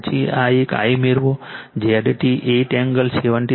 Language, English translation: Gujarati, Then you get I this one your Z T, you will get 8 angle 73